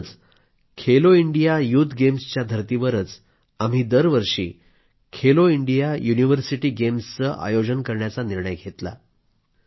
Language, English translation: Marathi, Therefore, we have decided to organize 'Khelo India University Games' every year on the pattern of 'Khelo India Youth Games'